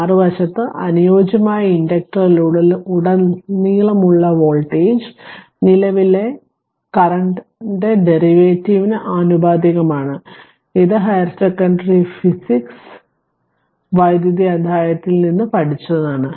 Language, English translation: Malayalam, On the other hand voltage across the ideal inductor is proportional to the derivative of the current this also you have learned from your high secondary physics electricity chapter right